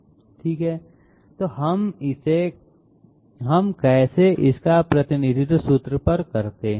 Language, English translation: Hindi, B i okay so how do we represent this on the formula